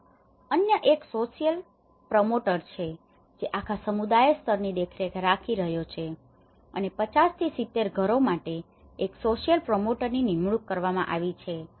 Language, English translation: Gujarati, There is another which is a social promoter, who is looking at the whole community level and for 50 to 70 households is one of the social promoter has been appointed